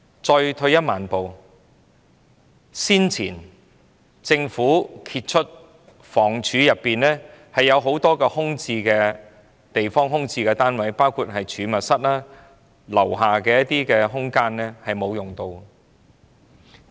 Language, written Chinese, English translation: Cantonese, 再退一萬步說，早前政府被揭發房屋署轄下有很多空置單位，包括儲物室、公屋大廈低層空間，並未有得到善用。, As uncovered earlier there are also a large number of vacant units under the Housing Department which have not been put into optimal use and these include store rooms and idle spaces on lower floors of public housing buildings